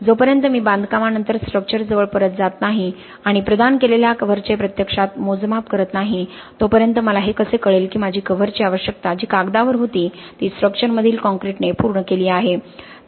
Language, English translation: Marathi, Unless I really go back to the structure after construction and actually measure the cover that has been provided, how do I know that my cover requirement which was on paper has been satisfied by the concrete in the structure